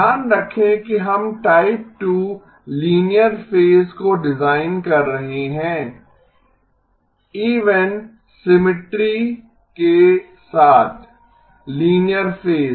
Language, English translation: Hindi, Keep in mind that we are designing a type 2 linear phase, linear phase with even symmetry